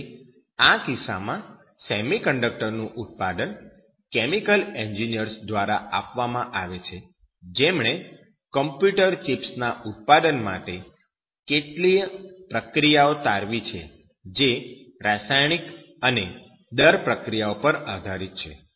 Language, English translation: Gujarati, So, in this case, the production of semiconductors is given by the chemical engineers who have had derived many of this process for the manufacture of computer seeds which are dependent on chemical and red processes